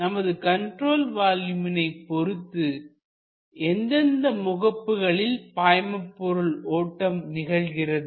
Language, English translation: Tamil, So, with respect to this control volume, what are the phases across which fluid flows